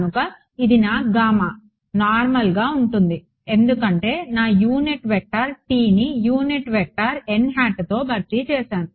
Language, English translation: Telugu, So, this was my gamma normally why because I simply replaced my unit vector k hat by the unit normal vector n hat